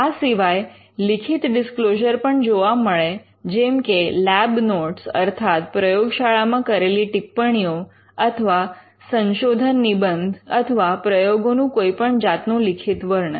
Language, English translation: Gujarati, You could find disclosures written disclosures like lab notes or thesis or or any kind of written description of work done